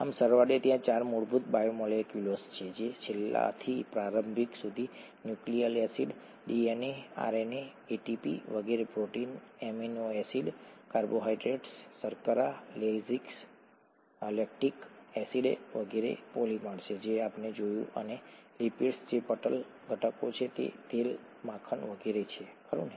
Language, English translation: Gujarati, So to sum up, there are 4 fundamental biomolecules last, from last to the earliest, nucleic acids, DNA, RNA, ATP and so on, proteins, polymers of amino acids, carbohydrates, sugars, lactic acid and so on that we have seen and lipids which are membrane components, oil, butter and so on, right